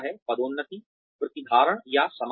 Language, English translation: Hindi, Promotions, Retention or Termination